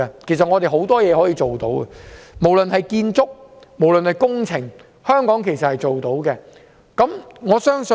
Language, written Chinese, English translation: Cantonese, 其實，我們有很多事情可以做，無論是建築或工程，香港也做得到。, In fact Hong Kong is capable of providing a wide range of services say construction or engineering services